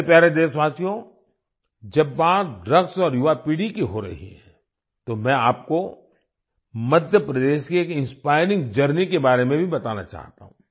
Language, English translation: Hindi, My dear countrymen, while talking about drugs and the young generation, I would also like to tell you about an inspiring journey from Madhya Pradesh